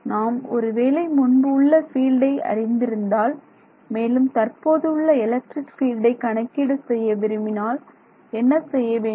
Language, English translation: Tamil, Supposing I know everything in the past and I want to evaluate the current value of electric field